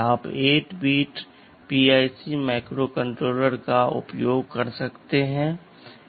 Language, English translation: Hindi, You can use 8 bit PIC microcontrollers